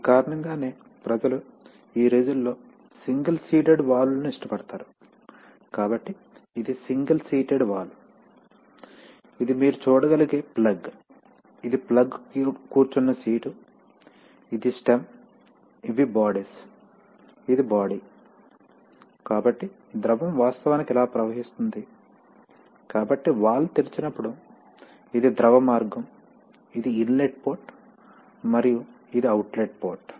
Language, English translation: Telugu, So it is for this reason that people nowadays prefer single seated valves, so this is a single seated valve, you know you this is the plug, this is the plug you can see that, this is the seat on which the plug sits, this is the seat, this is the stem, this is, these are the bodies, this is the body, so the fluid actually flows like this, like this, like this, so this is the fluid path when the valve opens, this is the inlet port, Inlet and this is the outlet port